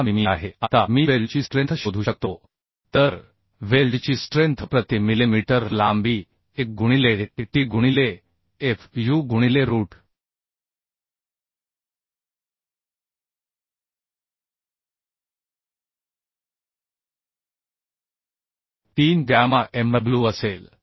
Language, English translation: Marathi, 6 mm Now I can find out the strength of the weld so strength of the weld per millimetre length will be 1 into tt into fu by root 3 gamma mw So 1 into tt is 5